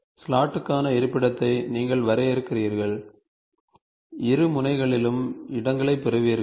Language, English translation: Tamil, You define the location for the slot, you get the slots on both the ends